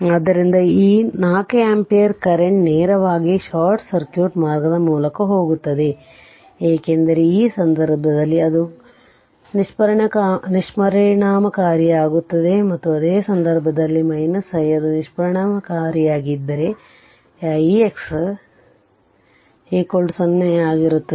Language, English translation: Kannada, So, this 4 ampere current actually directly you will go through this your short circuit your path, because in this case it will be ineffective it will be ineffective and in this at the same case your i, if it is ineffective means this i x dash will be 0 and i dash will be 0